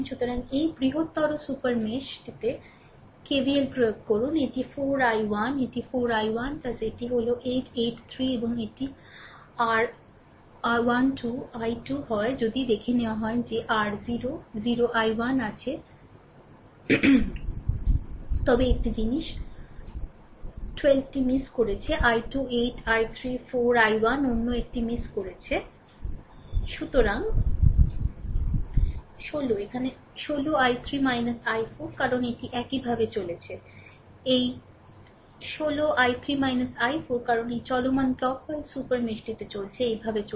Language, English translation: Bengali, So, this larger super mesh you apply KVL this is 4 i 1 this is 4 i 1 plus your this is your 8 i 3, right and plus this is your 12 i 2 right if you look into if you look into that is equal to your is 0 right 4 i 1 A one thing I have missed 12 i 2, 8 i 3, 4 i 1, another one, I have missed right; that is your this